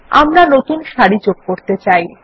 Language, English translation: Bengali, I wish to add new rows